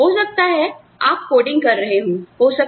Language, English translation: Hindi, So, may be, you are coding